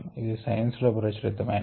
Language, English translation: Telugu, this is publishing science